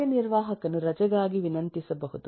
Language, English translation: Kannada, eh, as an executive can request for a leave